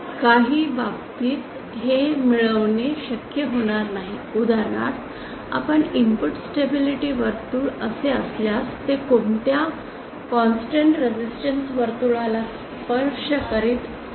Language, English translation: Marathi, In some cases it may not be possible to obtain for example if our input stability circle be like this, it does not really touch any constant resistance circle